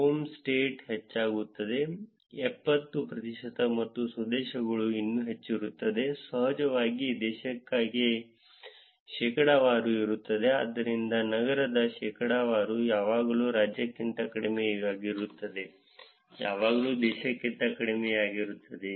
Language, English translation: Kannada, Home state becomes higher, seventy percent and home countries even higher, of course, the percentage for the country is going to be, so the percentage of city will always be lesser than state, will always be lesser than country